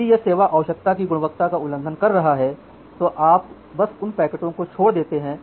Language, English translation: Hindi, If it is violating the quality of service requirement then you simply drop those packets